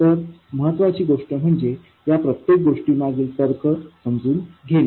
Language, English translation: Marathi, So the important thing is to understand the logic behind each of these things